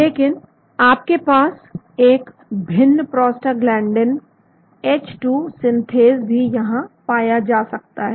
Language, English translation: Hindi, But you may have a different prostaglandin H2 synthase also found here